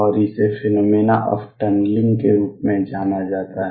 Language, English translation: Hindi, And this is known as the phenomena of tunneling